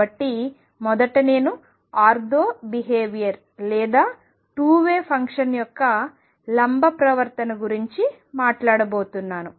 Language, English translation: Telugu, So, this first I am going to talk about of the ortho behavior or the perpendicular behavior of the 2 way function